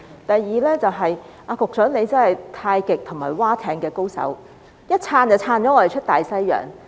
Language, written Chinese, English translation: Cantonese, 第二，局長真的是太極和划艇的高手，一撐已把我們撐出大西洋。, Second the Secretary is truly a Tai Chi master and rowing expert . He has taken us so far beyond the subject